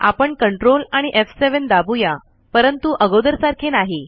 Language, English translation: Marathi, So we are going to press ctrl and f7 and not what we did earlier